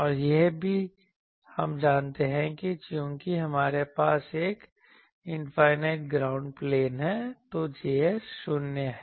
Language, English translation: Hindi, And also, we know that since we have an infinite ground plane; so, z s is 0